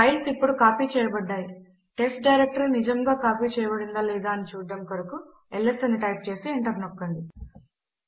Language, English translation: Telugu, The files have now been copied, to see that the test directory actually exist type ls and press enter